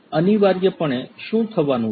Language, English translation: Gujarati, Essentially, what is going to happen